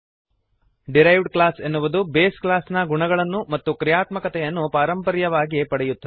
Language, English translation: Kannada, Derived class inherits the properties and functionality of the base class